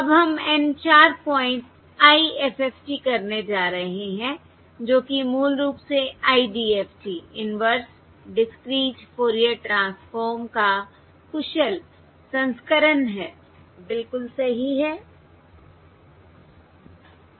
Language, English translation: Hindi, Now we are going to do the N 4 point IFFT, which is the basically the efficient version of the IDFT, Inverse Discrete, Fourier Transform